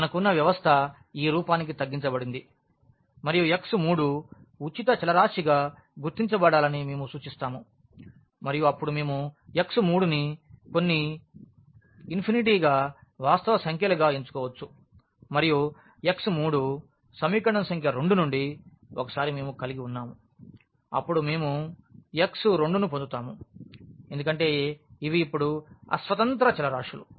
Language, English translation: Telugu, We have our system which is reduced in this form and where x 3 we have denoted as marked as free variable and then we can choose this x 3 some alpha alpha as a real number and then once we have x 3 then from equation number 2, we will get x 2 because these are the dependent variables now